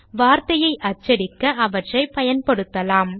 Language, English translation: Tamil, Now let us use them to print the word